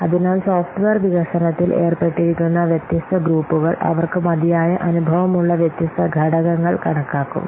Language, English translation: Malayalam, So, different groups involved in the software development, they will estimate different components for which it has adequate experience